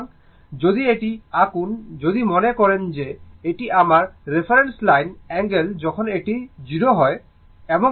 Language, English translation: Bengali, So, if you draw this so, if we make it suppose this is my I, this is my reference line angle in 0 when this my I, and this is V angle phi